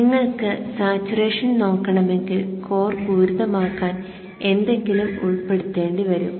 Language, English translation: Malayalam, Only if you want to look at saturation and you will have to include something to make the core saturate